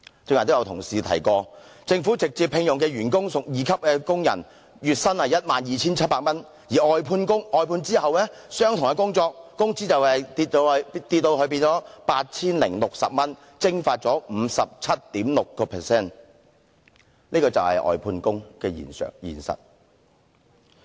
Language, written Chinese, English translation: Cantonese, 剛才亦有同事提到政府直接聘用的員工屬二級工人，月薪 12,700 元，而在外判後，相同工種的工資下跌至 8,060 元，蒸發了 57.6%， 這就是外判工的實況。, An Honourable colleague also mentioned earlier that staff members directly employed by the Government are Workman II with a monthly salary of 12,700 while after outsourcing the wages for the same type of job have dropped to 8,060 down by 57.6 % . This is the real picture of outsourced workers